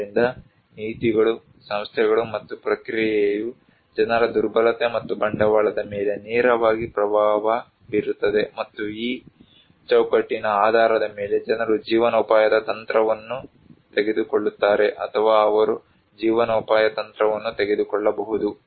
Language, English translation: Kannada, So, policies, institutions, and process also directly influence the vulnerability and the capital of people and based on this framework people take livelihood strategy or they can take livelihood strategy